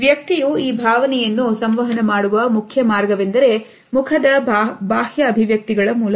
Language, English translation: Kannada, The main way a person communicates this emotion is through external expressions of the face